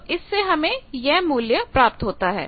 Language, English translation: Hindi, So, you can find this value